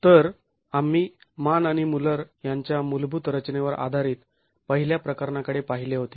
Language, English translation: Marathi, So, we had looked at the first of the cases based on the basic formulation of Mann and Mueller